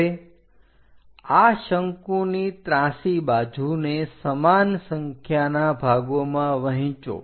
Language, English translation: Gujarati, Now divide this cone slant thing into equal number of parts